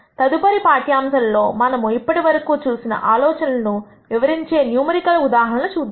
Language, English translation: Telugu, In the next lecture we will look at a numerical example that illustrates some of the ideas that we have seen